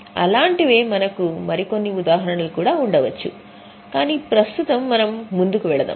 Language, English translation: Telugu, So, like that we can have some more examples also but right now let us go ahead